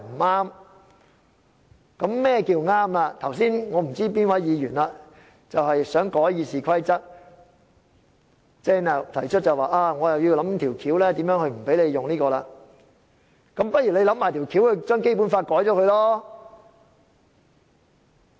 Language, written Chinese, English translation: Cantonese, 我不知道剛才是哪位議員提出想修改《議事規則》，要想辦法令我不能引用條款，那麼他不如一併想辦法修改《基本法》好了。, I do not know which Member suggested just now that he wanted to amend the Rules of Procedure and find ways to prevent me from invoking the rules . He might as well find ways to amend the Basic Law